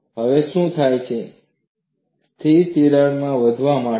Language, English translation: Gujarati, Now, what happens is, the stationary crack starts growing